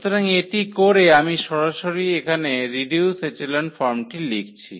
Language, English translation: Bengali, So, that doing so, I am writing directly here what will be the reduced echelon form